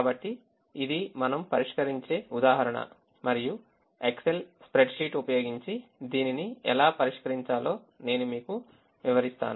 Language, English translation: Telugu, so this is the example that we will be solving and i will be demonstrating to you how to solve it using the excel spreadsheet